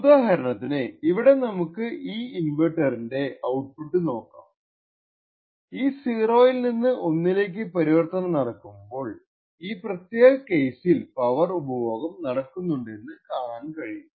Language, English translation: Malayalam, So, for example over here we will look at the output of the inverter and what we see is that during this transition from 0 to 1 in this particular case there is some power that gets consumed